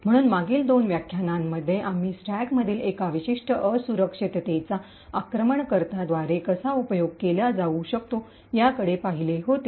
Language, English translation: Marathi, So, in the last two lectures we had actually looked at how one particular vulnerability in the stack can be exploited by the attacker